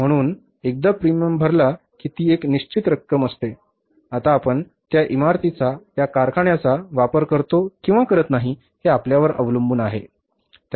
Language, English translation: Marathi, So, once that premium is paid, there is a fixed amount, now you make use of that building, that plant, that factory or you don't make use of that, it's up to you